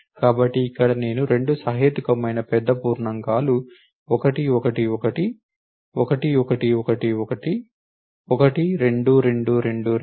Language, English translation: Telugu, So, here I gave 2 reasonably big integers 1 1 1 1 1 1 1,2 2 2 2 2 2 2 and 3 3 3 3 3 3 3it gives me let us run it again